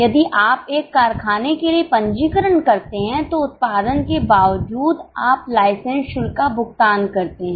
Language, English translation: Hindi, If you register for a factory, you pay license fee, irrespect your production